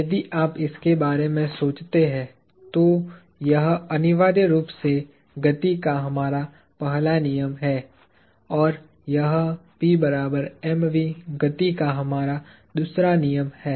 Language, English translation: Hindi, If you think of this, this is essentially our first law of motion and this is our second law of motion